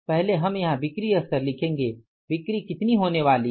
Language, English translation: Hindi, First we will write here the sales level